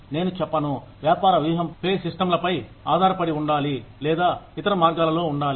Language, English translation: Telugu, I would not say, business strategy should be dependent on pay systems, or the other way around